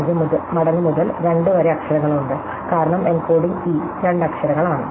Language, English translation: Malayalam, 25 times to 2, because the encoding E is two letters and so on